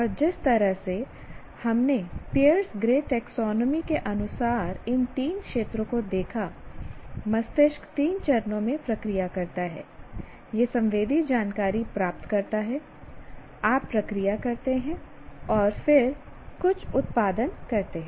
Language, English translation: Hindi, And the way we looked at these three domains as per Pierce Gray taxonomy that the brain processes in three stages, it receives sensory information, then you process and then produce some output